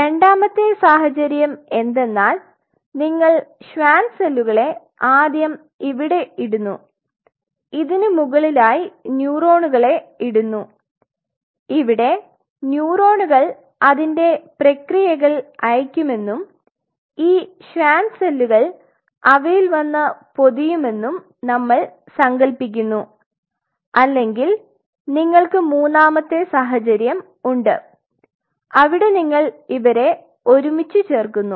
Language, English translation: Malayalam, The second situation is that you put the Schwann cells first out here and top of that you start putting the neurons assuming that as the neuron will be sending out its processes these Schwann cells will come along and form the wrapping or you have a third situation which is out here you put them together